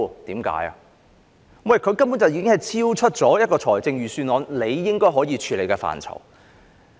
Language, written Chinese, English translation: Cantonese, 因為此事根本超出預算案可以處理的範疇。, Because they have gone beyond the scope of the Budget